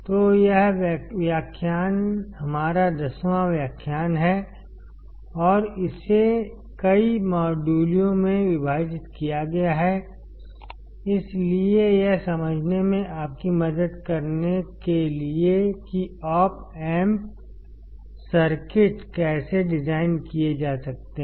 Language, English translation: Hindi, So, this lecture is our 10th lecture and it is divided into several modules; so, as to help you understand how the Op amp circuits can be designed